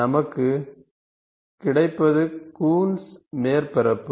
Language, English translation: Tamil, What we get is a Coons surface